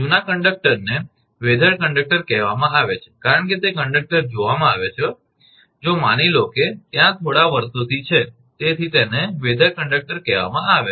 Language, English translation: Gujarati, The old conductor is called weathered conductor because it is sees conductor suppose it is there for few years, so it is called weathered conductors